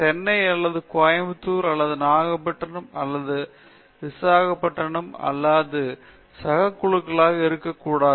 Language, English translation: Tamil, It should not be peer group only in Chennai 36 or Chennai 20 or in Coimbatore or Nagapattinam or Visakhapatnam or whatever; that peer group must be truly international